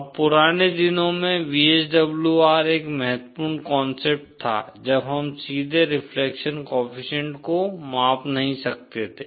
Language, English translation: Hindi, Now, VSWR was a very important concept in the olden days when we could not directly measure the reflection coefficient